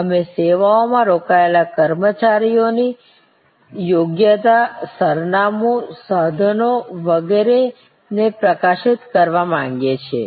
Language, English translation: Gujarati, We would like to highlight personnel engaged in the services their competence, their address, their equipment and so on